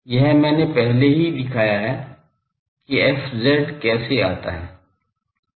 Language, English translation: Hindi, This I have already shown that how a fz comes